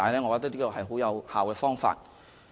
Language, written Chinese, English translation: Cantonese, 我認為這是很有效的方法。, I think this is an very effective way